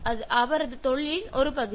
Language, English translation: Tamil, That’s part of his profession